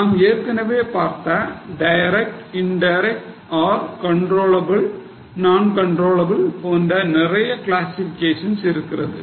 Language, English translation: Tamil, They are different classifications which we have seen earlier like direct, indirect or controllable, not controllable